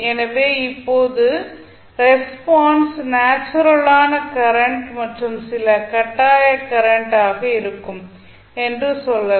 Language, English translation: Tamil, So, now let us say that the response will be some of natural current some of forced current